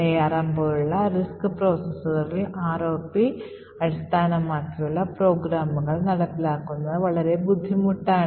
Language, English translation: Malayalam, In RISC type of processors like ARM implementing ROP based programs is much more difficult